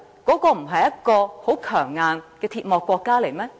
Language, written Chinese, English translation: Cantonese, 那不是一個相當強硬的鐵幕國家嗎？, Was that not a country behind the Iron Curtain that played hardball?